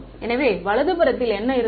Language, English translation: Tamil, So, what was on the right hand side